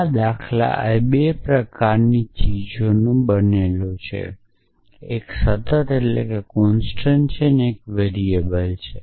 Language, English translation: Gujarati, This patterns are made up of 2 kinds things; one are one is constant and one is variable